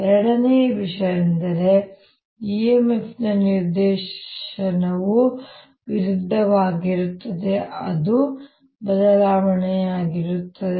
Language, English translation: Kannada, the second thing is that the direction of e m f is opposite, such that it opposes the change